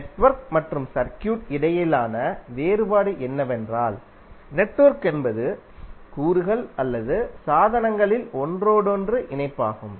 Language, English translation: Tamil, The difference between a network and circuit is that the network is and interconnection of elements or devices